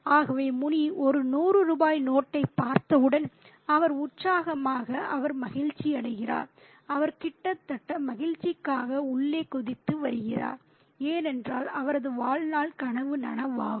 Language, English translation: Tamil, So, Muni, as soon as he sees that 100 ruping note, he is elated, he is delighted, he is almost jumping for joy on the inside because his dream of a lifetime was about to be realized